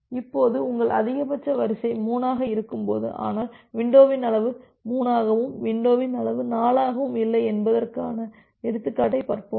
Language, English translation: Tamil, Now, let us see the an example that when your max sequence is 3, but the window size is also 3 and the window size is not 4